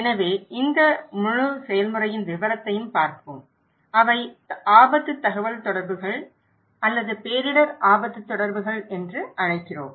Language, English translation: Tamil, So, let us look into the detail of this entire process, which we call risk communications or disaster risk communications